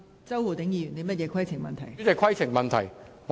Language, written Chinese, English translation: Cantonese, 周浩鼎議員，你有甚麼規程問題？, Mr Holden CHOW what is your point of order?